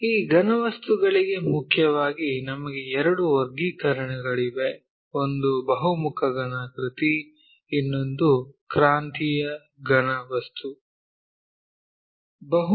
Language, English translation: Kannada, For this solids mainly we have two classification; one is Polyhedron, other one is solids of revolution